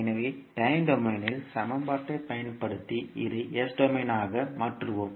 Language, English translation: Tamil, So, using the equation in time domain we will transform this into s domain